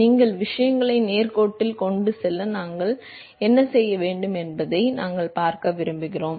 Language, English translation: Tamil, We always want to see what can we do so that you can get things towards the straight line